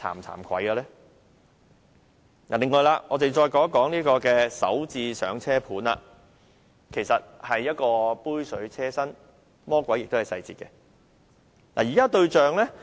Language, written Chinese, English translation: Cantonese, 此外，我們再談談"港人首置上車盤"，這措施其實杯水車薪，魔鬼亦在細節中。, Furthermore let us turn our discussion to Starter Homes which as a measure is utterly inadequate with the devil hidden in the details